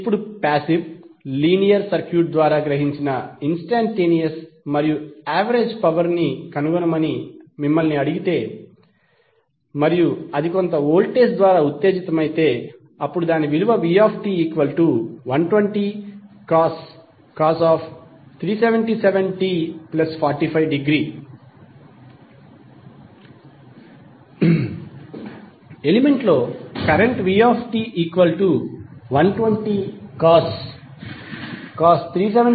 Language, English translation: Telugu, Now, if you are asked to find the instantaneous and average power absorbed by a passive linear circuit and if it is excited by some voltage V that is given as 120 cos 377t plus 45 degree